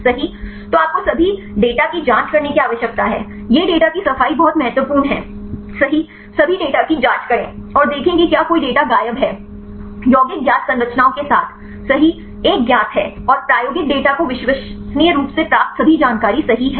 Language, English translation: Hindi, So, you need to check all the data this is data cleaning is very important right check all the data and see whether any data are missing are the compounds are a known with known structures right and the experimental data are obtained reliably right all the information you have to collect